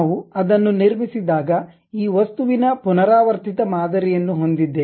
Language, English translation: Kannada, When we construct that we have this object repeated kind of pattern